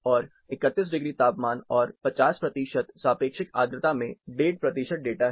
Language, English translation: Hindi, 34 degrees, 50 percent relative humidity, we had about 7 percentage a data